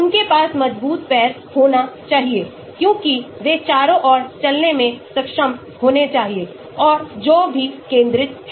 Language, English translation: Hindi, they should have strong legs because they should be able to run around and all that focused